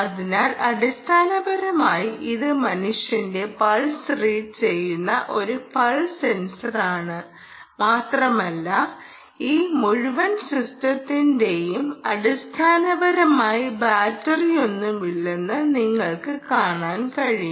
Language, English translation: Malayalam, so, basically, it's a pulse sensors reading the ah, the, the pulse of the human, and you can see that this whole system, ah, essentially has no battery